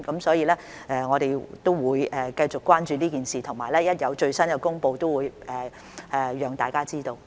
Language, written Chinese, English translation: Cantonese, 所以，我們會繼續關注這件事，而且一旦有最新消息，便會讓大家知道。, Therefore we will continue to follow this matter closely and will let people know the latest information as soon as it becomes available